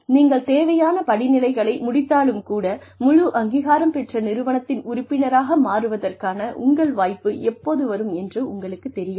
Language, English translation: Tamil, You do not know, even if you complete the necessary steps, you do not know, when your turn will come, to become a part of fully recognized, integral part of the organization